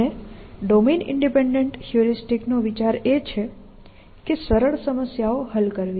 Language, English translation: Gujarati, And the idea of domain independent heuristic is to solve simpler problems essentially